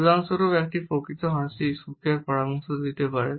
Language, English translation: Bengali, For example, a genuine smile may suggest happiness